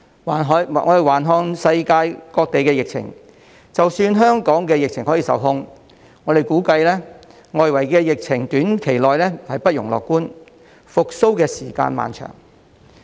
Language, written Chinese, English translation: Cantonese, 環顧世界各地的疫情，即使香港的疫情可以受控，我們估計外圍的疫情在短期內不容樂觀，復蘇時間漫長。, In view of the global pandemic situation even if we manage to put our pandemic under control we estimate that the global will not be optimistic in the short run and it will take a long time to recover